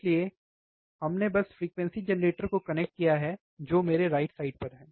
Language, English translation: Hindi, So, we have just connected the frequency generator which is here on my, right side, right